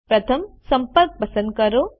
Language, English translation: Gujarati, First, select the Contact